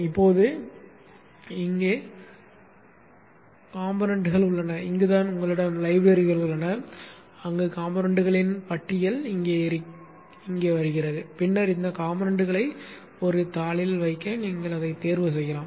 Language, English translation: Tamil, Now here is the components and this is where you have the libraries where a list of components coming here and then you can choose this components to place onto the sheet